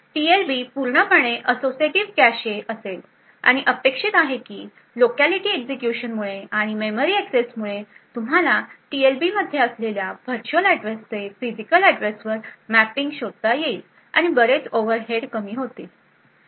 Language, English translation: Marathi, So, the TLB would be fully associative cache and it is expected that due the locality of the execution and memory accesses you are quite lucky to find the mapping of virtual to physical address present in the TLB and a lot of overheads will be reduced